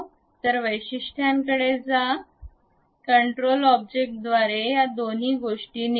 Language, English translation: Marathi, So, go to features, select these two things by control object